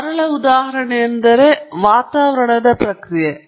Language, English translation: Kannada, And a simple example for that would be that of an atmospheric process